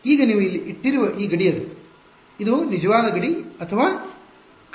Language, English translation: Kannada, Now this boundary that you have put over here it is; is it a real boundary or a hypothetical boundary